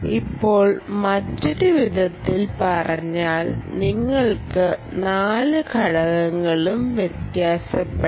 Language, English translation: Malayalam, in other words, you can have all the four elements